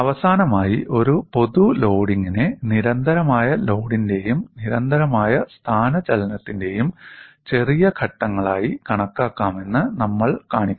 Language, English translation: Malayalam, And finally, we would also show a general loading can be thought of as smaller steps of constant load and constant displacement